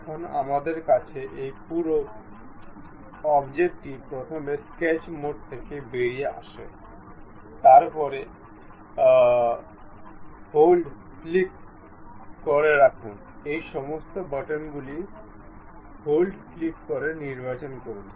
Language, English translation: Bengali, Now, we have this entire object first come out of sketch mode, then pick click hold select, all these buttons by clicking hold